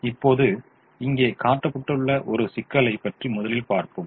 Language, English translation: Tamil, now let us look at a problem that is shown here